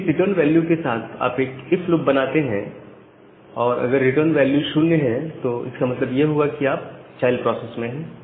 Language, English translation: Hindi, So, if you make a if loop with this return value if the return value is 0; that means, you are inside the child process